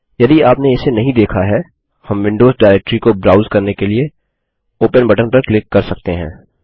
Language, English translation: Hindi, If you dont see it, we can click on the Open button in the centre to browse to the Windows directory where Library database is saved